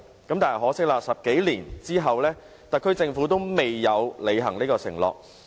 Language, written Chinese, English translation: Cantonese, 很可惜 ，10 多年後，特區政府仍未履行有關承諾。, Unfortunately over 10 years have passed but pledges expected then have yet to be honoured